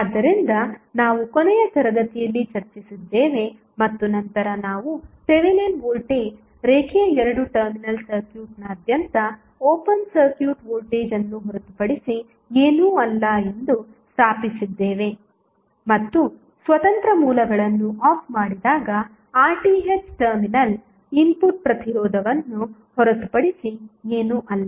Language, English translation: Kannada, So, this is what we discussed in the last class and then we stabilized that Thevenin voltage is nothing but open circuit voltage across the linear two terminal circuit and R Th is nothing but the input resistance at the terminal when independent sources are turned off